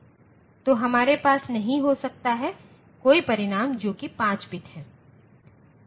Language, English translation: Hindi, So, we cannot have this any results coming out which is 5 bit